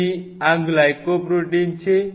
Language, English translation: Gujarati, So, these are Glycol Protein